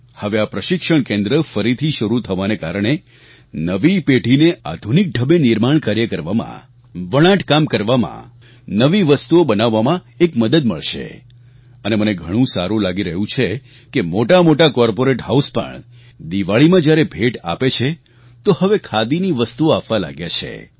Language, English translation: Gujarati, With the reopening of this training centre, the new generation will get a boost in jobs in manufacturing , in weaving, in creating new things and it feels so good to see that even big corporate Houses have started including Khadi items as Diwali gifts